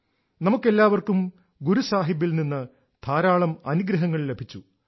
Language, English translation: Malayalam, All of us were bestowed with ample blessings of Guru Sahib